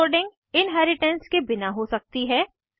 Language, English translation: Hindi, Overloading can occurs without inheritance